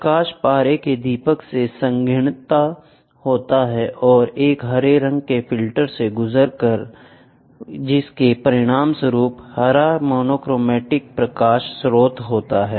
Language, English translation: Hindi, The light from the mercury lamp is condensed and passed through a green filter, resulting in the green monochromatic light source